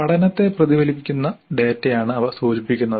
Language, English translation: Malayalam, They indicate data which essentially reflects the learning